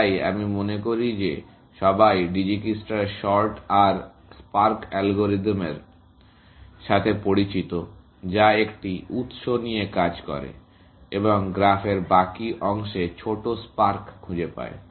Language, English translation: Bengali, So, I take it that everybody is familiar with Dijikistra’s shorter spark algorithm, which takes a single source and finds shorter spark, to the rest of the graph, essentially